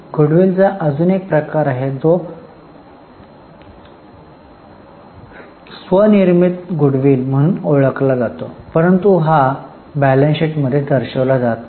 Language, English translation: Marathi, There is another category of goodwill which is known as self generated goodwill but it is not disclosed in the balance sheet